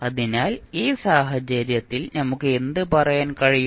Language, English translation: Malayalam, So, in this case what we can say